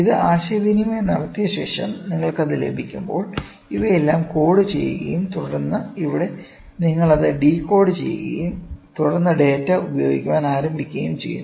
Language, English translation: Malayalam, After it is communicated, when you receive it, all these things are this is coded and then here you decode it; decode it and then you start using the data